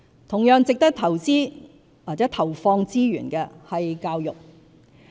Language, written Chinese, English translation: Cantonese, 同樣值得投資或投放資源的是教育。, Education is another area which also warrants investment and the devotion of resources